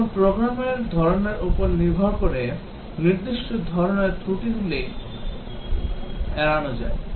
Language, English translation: Bengali, Now depending on the kind of program, certain kinds of faults can be ruled out